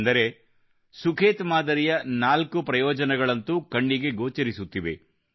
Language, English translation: Kannada, Therefore, there are four benefits of the Sukhet model that are directly visible